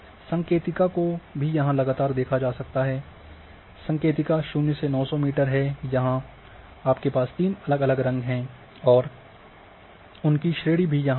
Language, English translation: Hindi, So, legend can also be seen that here see it is a continuously legend 0 to 900 meter where is the legend here you have a three distinct colours and their range are also here